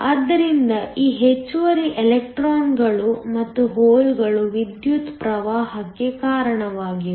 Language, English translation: Kannada, So, these extra electrons and holes are what that are responsible for the current